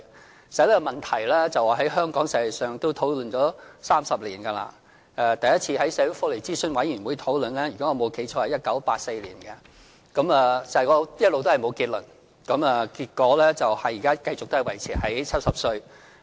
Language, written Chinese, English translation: Cantonese, 其實這問題在香港已經討論了30多年，第一次在社會福利諮詢委員會討論的時候，如果我沒記錯，應該是1984年，但一直都沒有結論，結果現在仍維持在70歲。, Actually this issue has been discussed in Hong Kong for more than three decades . It was first discussed by the Social Welfare Advisory Committee in if my memory has not failed me 1984 . However no conclusion has since been drawn